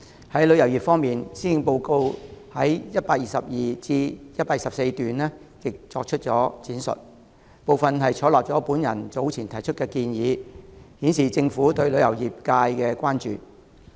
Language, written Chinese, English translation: Cantonese, 在旅遊業方面，施政報告在122段至124段亦作出了闡述，當中一些部分採納了我早前提出的建議，顯示政府對旅遊業界的關注。, In respect of the tourism industry the Policy Address has also made an elaboration in paragraphs 122 to 124 part of which has accepted the suggestions made by me earlier thus showing the Governments concern for the tourism industry